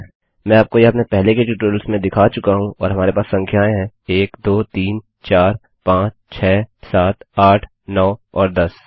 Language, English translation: Hindi, We now have to create these Ive shown you this in my earlier tutorials and well have the numbers 1 2 3 4 5 6 7 8 9 and 10 Ok